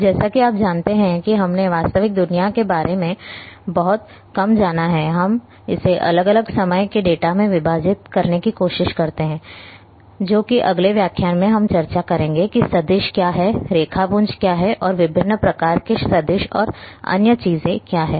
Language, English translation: Hindi, Now as you know that this thing we have touched little bit that the real world we try to segment it in different time types of data which in the next lecture we will be discussing what is vector, what is raster and different types of vector and other things